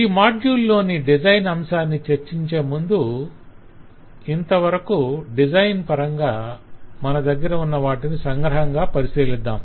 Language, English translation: Telugu, so before we start discussing on this module the design part let us recap what we have in our design by now